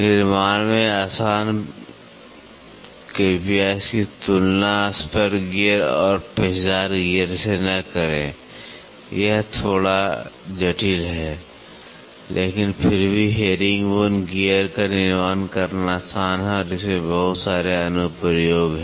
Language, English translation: Hindi, Easy to manufacture please do not compare it with that of spur gear and helical gear it is little complex, but still herringbone gears are easy to manufacture and it has lot of applications